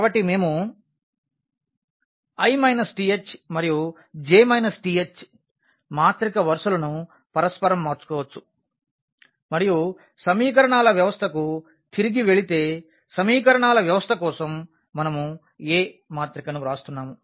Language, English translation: Telugu, So, we can interchange the i th and the j th row of a matrix and if going back to the system of equations because for the system of equations we are writing the matrix A